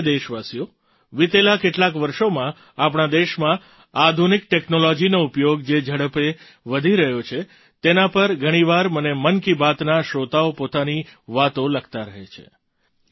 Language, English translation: Gujarati, in the last few years, the pace at which the use of modern technology has increased in our country, the listeners of 'Mann Ki Baat' often keep writing to me about it